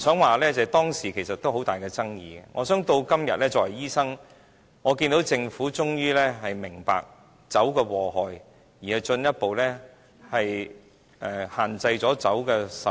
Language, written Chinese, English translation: Cantonese, 我不想說，當時其實都有很大爭議，我相信今天，作為醫生，我看到政府終於明白酒的禍害，因而進一步限制酒的售賣。, I do not wish to talk too much about this but in fact the wine duty issue did spark off heated debates then . As a doctor I believe the Government finally sees the harm of drinking today and it has further restricted the sale of wine